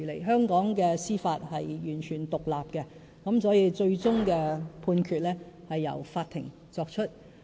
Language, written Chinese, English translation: Cantonese, 香港的司法是完全獨立的，所以最終的判決是由法庭作出。, The Judiciary of Hong Kong is totally independent . Hence the making of a judgment is ultimately the authority of the Court